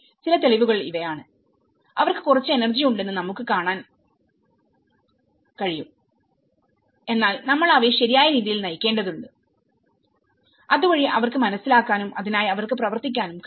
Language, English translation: Malayalam, These are some evidences, which we can see that they have some energy but we need to channel them in a right way so that they can understand and they can realize and they work towards it